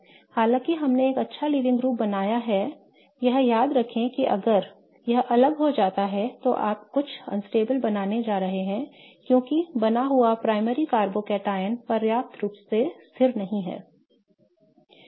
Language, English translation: Hindi, Although we have created a good living group, remember that if it leaves you are going to create something unstable because the primary carbocotin that will be created will not be stable enough, right